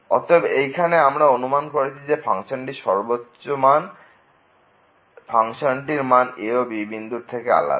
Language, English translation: Bengali, So, here we assume that the function the maximum value of the function is different than the function value at and